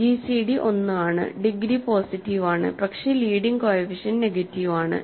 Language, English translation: Malayalam, The gcd is 1, degree is positive, but the leading coefficient is negative